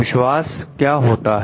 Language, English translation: Hindi, What is trust